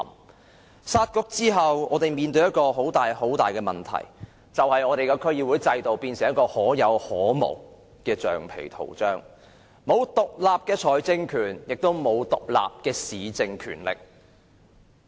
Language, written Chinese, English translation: Cantonese, 在"殺局"後，我們面對一個很大的問題，便是區議會變成可有可無的橡皮圖章，沒有獨立的財政權，亦沒有獨立的市政權力。, After the Municipal Councils were scrapped we face a big problem that is DCs become a rubber stamp which have no independent financial or municipal power